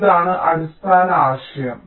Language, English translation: Malayalam, ok, so this is the basic idea